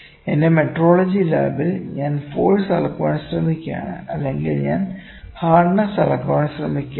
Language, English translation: Malayalam, Let me see, if I am having in my metrology lab, I am trying to measure the force or I am trying to measure the hardness